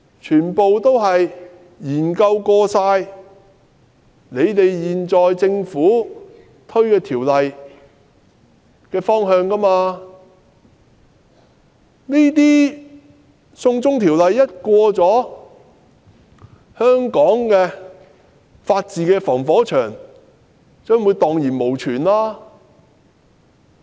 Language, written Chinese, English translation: Cantonese, 他們曾研究有關政府法案的方向，認為只要"送中條例"獲得通過，香港法治的"防火牆"便會蕩然無存。, After examining the direction of the government bill concerned they opine that as long as the extradition law is passed the firewall in Hong Kongs rule of law will cease to exist